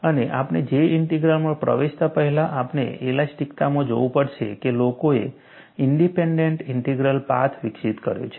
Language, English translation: Gujarati, And, before we get into J Integral, we have to look at, in elasticity, people have developed path independent integrals